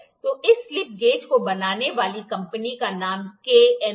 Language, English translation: Hindi, So, the name of the company that is manufactured this slip gauges is K N